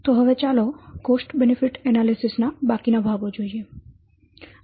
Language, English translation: Gujarati, So, now let's see the remaining parts of cost benefit analysis